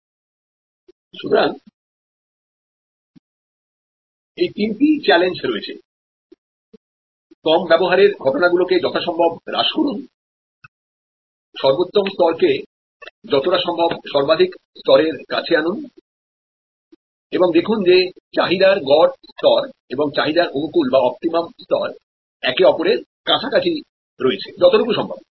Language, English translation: Bengali, So, there are these three challenges, reduce the occasions of low utilization as much as possible, bring the optimum level as close to the maximum level as possible and see that the average level of demand and optimal level of demand are as close to each other as possible